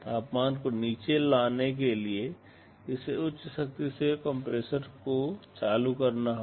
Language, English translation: Hindi, It must turn on the compressor at high power to bring down the temperature